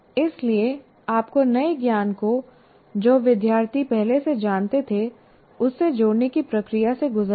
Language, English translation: Hindi, So you have to go through the process of linking the new knowledge to the what the students already knew